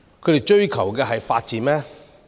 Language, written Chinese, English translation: Cantonese, 他們追求的是法治嗎？, Are they pursuing the rule of law?